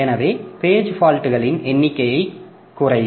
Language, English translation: Tamil, So, number of page faults will reduce